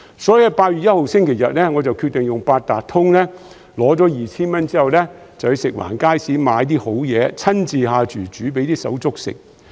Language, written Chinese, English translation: Cantonese, 所以，在8月1日星期日，我決定用八達通卡領取 2,000 元消費券，之後前往食環署轄下街市買"好嘢"，親自下廚煮給"手足"吃。, Accordingly on Sunday 1 August I decided to use my Octopus card to collect the 2,000 consumption voucher and then go to an FEHD market to buy good stuff and cook some food for my colleagues